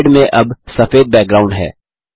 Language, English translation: Hindi, The slide now has a white background